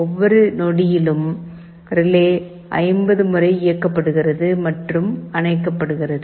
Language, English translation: Tamil, In every second the relay is switching on and off 50 times